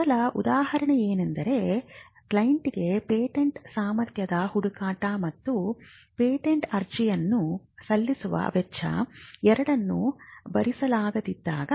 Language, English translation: Kannada, The first instance is when the client cannot afford both a patentability search, and the filing cost for filing and drafting a patent application